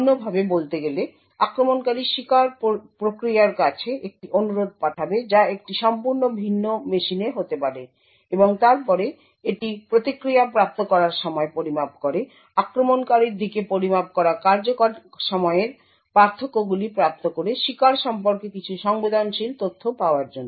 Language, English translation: Bengali, So in other words the attacker would send a request to the victim process which may be in a completely different machine and then it measures the time taken for the response to be obtained the differences in execution time that is measured at the attacker’s end is then used to obtain some sensitive information about the victim